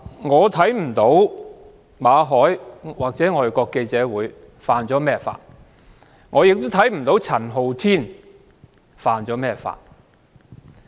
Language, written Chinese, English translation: Cantonese, 我不知道馬凱或外國記者會觸犯了甚麼法例，也不知道陳浩天觸犯了甚麼法例。, I do not know which law Victor MALLET or FCC has violated and I do not know which law Andy CHAN has violated